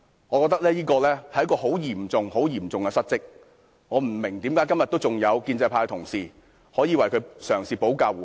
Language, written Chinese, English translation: Cantonese, 我覺得這是很嚴重的失職，我不明白為甚麼今天還有建制派同事，嘗試為他保駕護航。, Given such a serious dereliction of duty I fail to understand why pro - establishment Members are still trying to shield him today